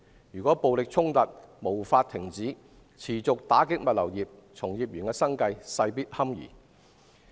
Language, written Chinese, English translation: Cantonese, 如果暴力衝突無法停止，物流業將受到持續打擊，從業員的生計堪虞。, If the violent conflicts cannot be stopped the logistics industry will continue to be hard hit and the livelihood of the employees will be at stake